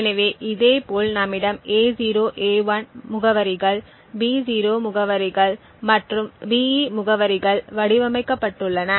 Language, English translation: Tamil, So similarly we have A0, A1 addresses being crafted B0 addresses and the BE addresses being crafted